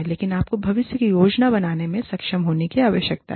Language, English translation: Hindi, But, you need to be, able to plan, for the future